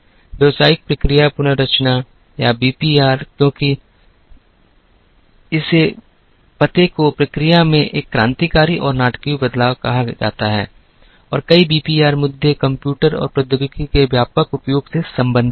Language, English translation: Hindi, Business process reengineering or BPR as it is called addresses a radical and a dramatic change in the process and many BPR issues were related to extensive use of computers and technology